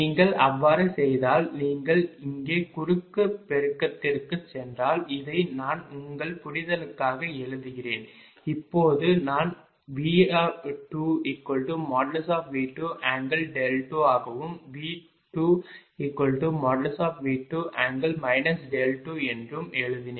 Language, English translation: Tamil, if you do so, if you go for cross multiplication this here i am writing for your understanding that just now i wrote also that v two is equal to v two, angle delta two